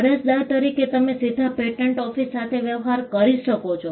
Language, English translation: Gujarati, As an applicant, you can directly deal with the patent office